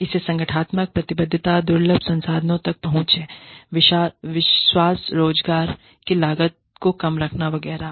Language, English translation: Hindi, So, organizational commitment, access to scarce resources, trust, keeping employment costs down, etcetera